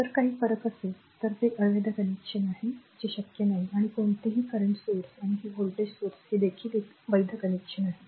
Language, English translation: Marathi, If there is a difference is then that is invalid connection that is not possible and any current source and this voltage source this is also a valid connection